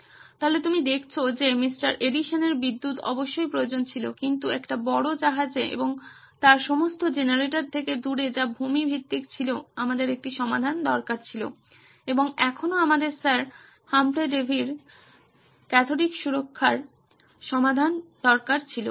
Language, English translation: Bengali, Edison’s electricity was definitely needed but in a large ship and in away from all its generators which were land based we needed a solution and still we needed Sir Humphry Davy’s solution of cathodic protection